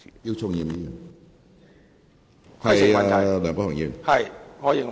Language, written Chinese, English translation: Cantonese, 姚松炎議員，請發言。, Dr YIU Chung - yim please speak